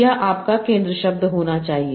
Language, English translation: Hindi, This should be your center word